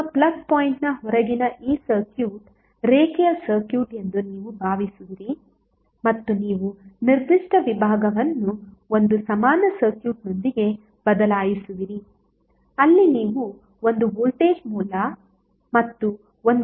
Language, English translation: Kannada, So you will assume that this circuit which is outside your plug point is the linear circuit and you will replace that particular segment with one equivalent circuit where you will have one voltage source and one resistance